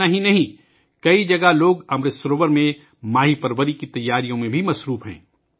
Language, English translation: Urdu, Not only this, people at many places are also engaged in preparations for fish farming in Amrit Sarovars